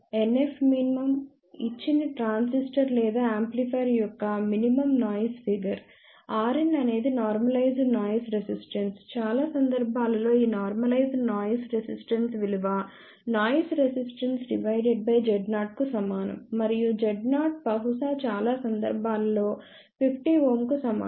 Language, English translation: Telugu, NF min is the minimum noise figure for that given transistor or amplifier, r n is the normalized noise resistance most of the time this normalized noise resistance is equal to noise resistance divided by z 0 and z 0 maybe majority of the time equal to 50 ohm